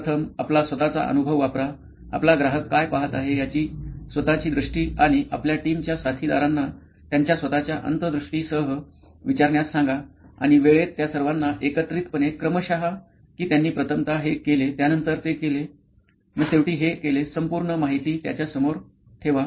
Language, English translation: Marathi, The first, is use your own experience, your own vision of what your customer is going through and ask your team mates, also, to come up with their own insights and stack them all together chronologically in time saying they did this first then they did this first, next and then next and you can put detail all this out